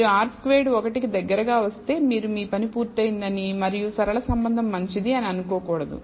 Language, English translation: Telugu, If you get R squared close to 1 you should not conclude your job is done and the linear relationship is good and so on